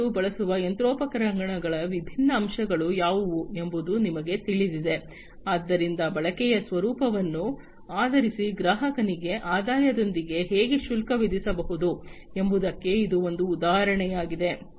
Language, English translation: Kannada, You know what are the different what are the different aspects of the machinery that is used by the customer, so that is also an example of how the customer can be charged with the revenues, based on the nature of the usage